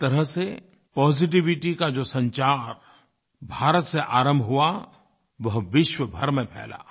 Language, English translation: Hindi, In a way, a wave of positivity which emanated from India spread all over the world